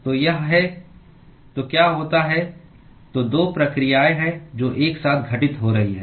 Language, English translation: Hindi, , so what happens so, there are two processes which are occurring simultaneously